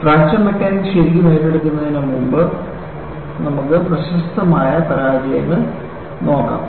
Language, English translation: Malayalam, Before we really take a fracture mechanics, let us look at the spectacular failures